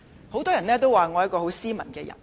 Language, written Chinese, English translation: Cantonese, 很多人說我很斯文。, Many people describe me as a decent person